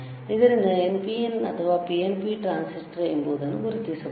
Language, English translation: Kannada, So, whether the transistor is NPN or whether the transistor is PNP, how we can know